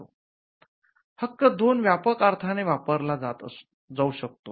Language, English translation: Marathi, Rights can be used in 2 broad senses